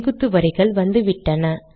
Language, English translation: Tamil, So now the vertical lines have also come